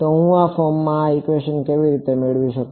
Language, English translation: Gujarati, So, how do I get this equation in this form